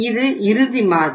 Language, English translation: Tamil, This is standard model